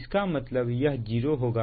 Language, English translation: Hindi, so, put here, it is zero